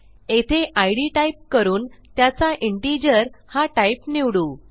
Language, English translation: Marathi, We type id and we will make this an integer